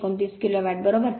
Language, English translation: Marathi, 829 kilo watt right